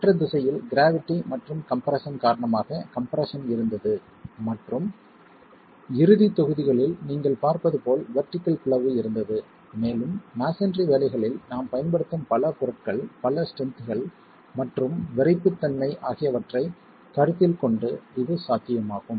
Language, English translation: Tamil, There was compression due to the gravity and compression in the other direction and there was vertical splitting as you see in the end blocks and this is possibility given the multiple materials, multiple strengths and stiffnesses that we use in masonry